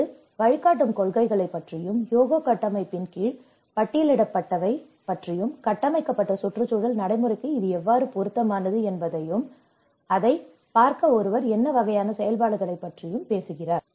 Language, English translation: Tamil, It talks about the guiding principles, what have been listed under the Hyogo Framework for Action and how it is relevant to the built environment practice and what kind of activities one has to look at it